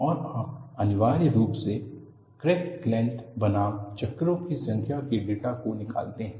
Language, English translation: Hindi, And you essentially cull out the data of crack length versus number of cycles